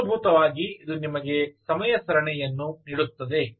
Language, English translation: Kannada, so essentially, this is telling you, giving you the time series